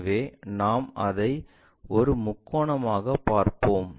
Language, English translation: Tamil, So, we will see it like a triangle